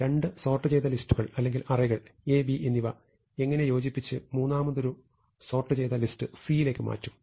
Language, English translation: Malayalam, So, how do I combine two sorted list or two sorted arrays A and B into a third sorted list C